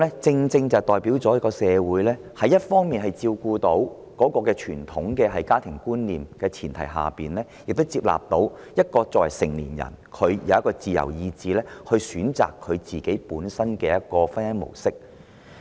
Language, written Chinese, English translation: Cantonese, 這正可代表社會在照顧傳統家庭觀念的前提下，也能接納任何人均有自由意志選擇本身的婚姻模式。, This shows that under the premise of upholding traditional family values it is also acceptable for everyone to choose hisher own mode of marriage according to hisher free will